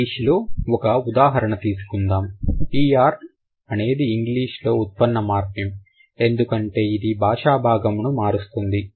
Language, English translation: Telugu, ER, that's a derivational morphem in English because it generally changes the parts of speech